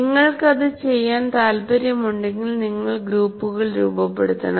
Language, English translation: Malayalam, If you want to do that, obviously you have to form the groups right